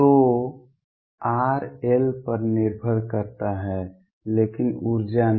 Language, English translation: Hindi, So, r depends on l, but the energy does not